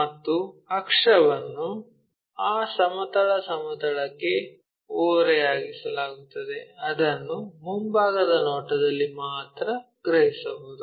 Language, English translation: Kannada, And axis is inclined to that horizontal plane which we can sense it only in the front view